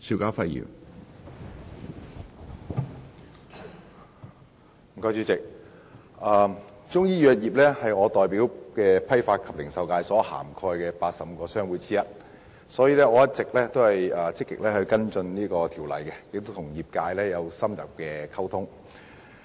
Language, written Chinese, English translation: Cantonese, 主席，中醫藥業是我代表的批發及零售界所涵蓋的85個商會之一，所以我一直積極跟進《2017年中醫藥條例草案》，並與業界有深入的溝通。, President the Chinese medicine industry stands among the 85 business associations covered by the wholesale and retail sector represented by me . For this reason all along I have actively followed up the Chinese Medicine Amendment Bill 2017 the Bill and maintained in - depth communication with the industry